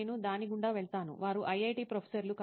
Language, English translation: Telugu, I go through that, they are IIT professors that teach on that